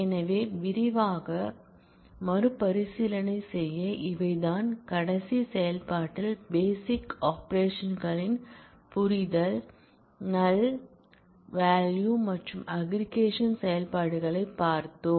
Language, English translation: Tamil, So, just to quickly recap, this is these are the things that, we did in the last module completing the understanding of basic operations the null values and aggregate functions